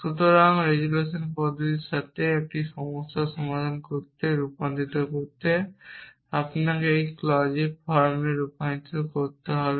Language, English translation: Bengali, So, to convert to solve a problem with resolution method you have to convert it in to clause form